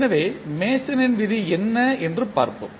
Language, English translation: Tamil, So, let us see what was the Mason’s rule